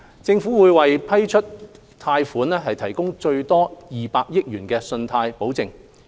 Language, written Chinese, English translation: Cantonese, 政府會為批出貸款提供最多200億元的信貸保證。, The guarantee fee will be waived . The Government will provide a maximum loan guarantee of 20 billion for approved loans